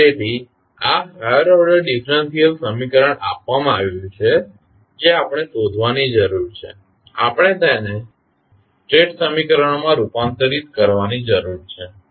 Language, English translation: Gujarati, So, this is the higher order differential equation is given we need to find this, we need to convert it into the state equations